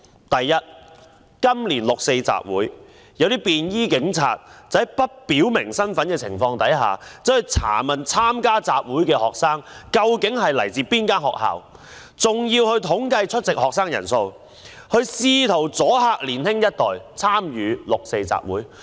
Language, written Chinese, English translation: Cantonese, 第一，今年六四集會，一些便衣警察在不表明身份的情況下，查問參加集會的學生來自哪間學校，更統計出席學生的人數，試圖阻嚇年輕一代參與六四集會。, First in the 4 June gathering this year some plainclothes policemen had without disclosing their identity asked students participating in the gathering which school they came from . They even computed the number of participating students in an attempt to deter the younger generations from joining the 4 June gathering